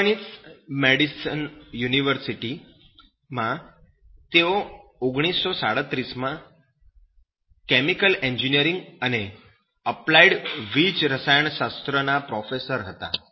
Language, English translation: Gujarati, degree to him in chemical engineering, and he was a professor of chemical engineering and applied electrochemistry at the University of Wisconsin Madison until 1937